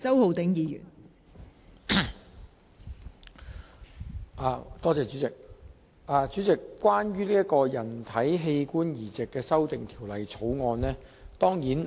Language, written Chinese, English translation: Cantonese, 代理主席，我當然會支持《2018年人體器官移植條例草案》。, Deputy President I certainly support the Human Organ Transplant Amendment Bill 2018 the Bill